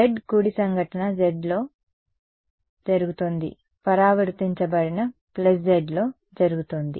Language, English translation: Telugu, z right incident is going in minus z reflected is going in plus z